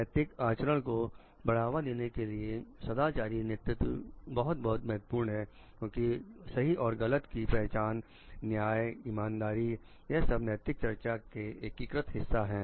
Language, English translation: Hindi, Moral leadership is very very important for promoting ethical conduct because, this sense of right and wrong, justice, fairness is an integral part of ethical discussion